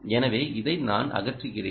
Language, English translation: Tamil, so i remove this